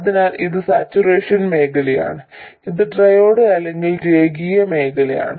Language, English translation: Malayalam, So, this is the saturation region and this is the triode or linear region